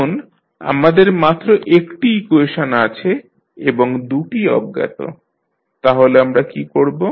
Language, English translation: Bengali, Now, we have only one equation and two unknowns, so what we can do